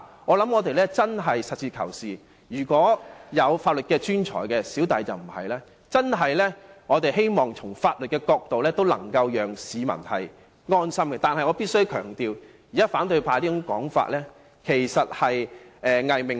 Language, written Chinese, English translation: Cantonese, 我們真的要實事求是，法律專才——我本人可不是——要從法律的角度讓市民安心，但我必須強調，反對派現時這種說法其實只是個"偽命題"。, We need to be truly pragmatic in the sense that the legal professionals―I am not among them―have to advise the public from the legal point of view so as to give them peace of mind . I must however emphasize that what the opposition camp has asserted now is merely a pseudo - proposition